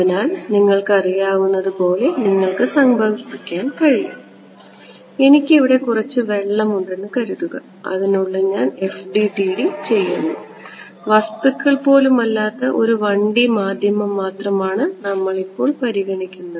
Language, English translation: Malayalam, So, you can imagine like you know I have say water and I am doing FDTD within that and just 1D medium we are not even considering object right now